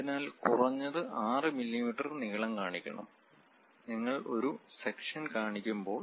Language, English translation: Malayalam, So, minimum 6 mm length one has to show; when you are showing a section